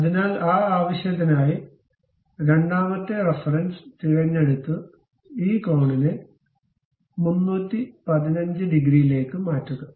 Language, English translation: Malayalam, So, for that purpose, pick second reference and change this angle to something 315 degrees